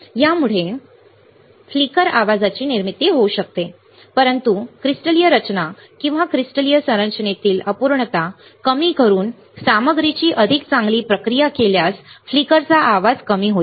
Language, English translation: Marathi, It may cause the generation of flicker noise, but the better processing better processing of the material by reducing the crystalline structure or imperfection in the crystalline structure would reduce the flicker noise would reduce the flicker noise ok